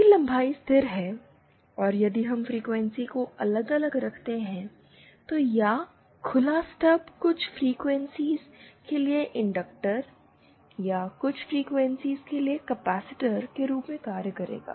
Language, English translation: Hindi, If the length is constant, and if we keep varying the frequency, then this open stub will act as a inductor for some frequencies or as a capacitor for some frequencies